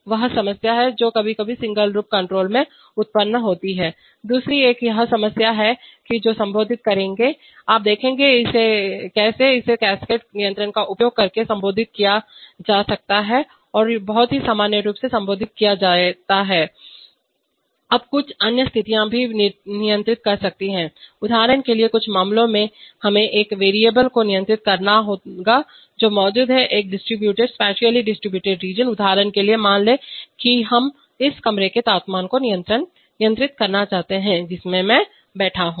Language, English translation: Hindi, Secondly, this is a problem which will address, you will see how it can be addressed by using cascade control and very commonly addressed, now there are some other situations can control, for example in some cases we have to control the a variable which exists over a distributed, spatially distributed region, for example suppose we want to control the temperature in this room in which I am sitting